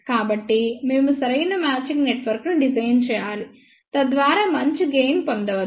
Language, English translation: Telugu, So, we must design a proper matching network, so that better gain can be obtained